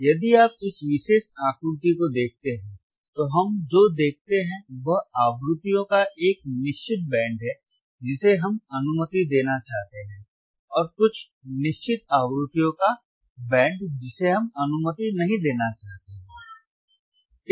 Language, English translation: Hindi, So, if you see this particular figure, what we see is there is a certain band of frequencies that we want to allow and, certain band of frequencies that we do not want to allow